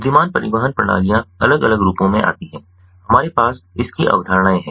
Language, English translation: Hindi, so intelligent transportation systems come in different forms